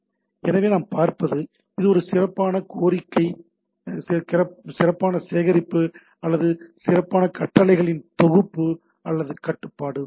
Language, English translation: Tamil, So what we see, it is a rich collection or rich set of commands or control is there